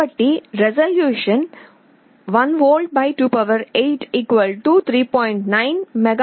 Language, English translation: Telugu, So, the resolution will be 1V / 28 = 3